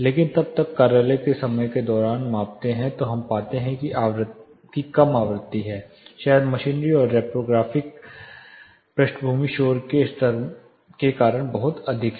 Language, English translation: Hindi, But then when you are measuring during office hours we find low frequency there is little high probably due to machinery and reprographic background noise levels